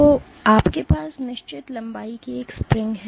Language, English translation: Hindi, So, you have a spring of certain length